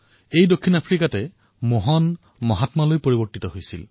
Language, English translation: Assamese, It was South Africa, where Mohan transformed into the 'Mahatma'